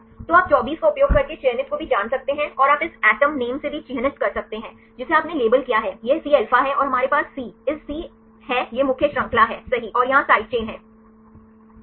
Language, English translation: Hindi, So, you can also know the selected using 24 and you can also mark with this atom name here you labeled this is Cα and we have Cβ Cγ this is the main chain right and here the side chain ok